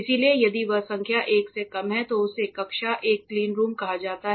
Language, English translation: Hindi, So, if that number is less than 1 it is called a class one cleanroom